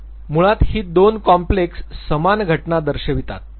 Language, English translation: Marathi, Basically these two complexes represent the same phenomena